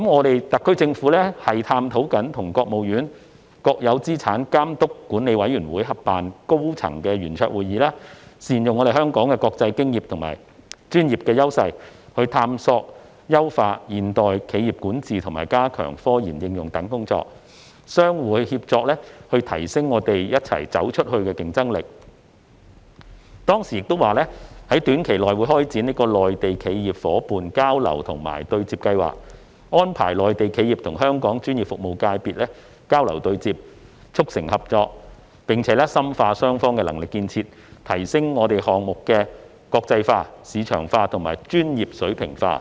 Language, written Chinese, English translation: Cantonese, 特區政府正探討與國務院國有資產監督管理委員會合辦高層圓桌會議，善用香港的國際經驗和專業優勢，探索優化現代企業管治及加強科研應用等工作，相互協作以提升'走出去'的競爭力；並於未來一年開展'內地企業伙伴交流及對接計劃'，安排內地企業與香港專業服務界別交流對接，促成合作，並深化雙方的能力建設，提升項目的國際化、市場化和專業水平化"。, The HKSAR Government is seeking to organise jointly a high - level roundtable with the State - owned Assets Supervision and Administration Commission of the State Council to explore enhancements of modern corporate governance and to strengthen RD application by leveraging the international experience and professional strengths of Hong Kong thereby enhancing the competitiveness to go global through mutual collaboration . We will also launch a Mainland Enterprises Partnership Exchange and Interface Programme in the coming year to facilitate exchanges and networking that foster co - operation between Hong Kongs professional services sector and Mainland enterprises strengthen the capacity building of both sides and enhance the international outlook market orientation and professional standards of various projects